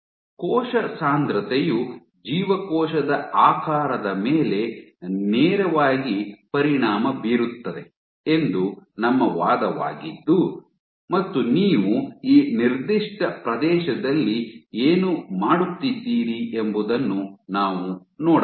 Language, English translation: Kannada, If we are to look at our argument of cell density in directly impacting the cell shape, so one of the things what you are doing is in a given area